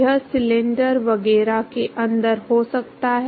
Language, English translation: Hindi, It could be inside the cylinder etcetera